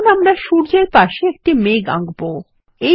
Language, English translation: Bengali, Now, let us draw a cloud next to the sun